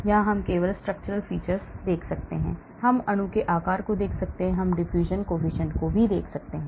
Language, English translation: Hindi, here we can do only structural features, we can look at the shape of the molecule, we can look at the diffusion coefficient